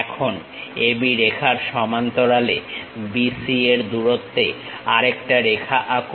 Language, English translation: Bengali, Now, parallel to AB line draw one more line at a distance of BC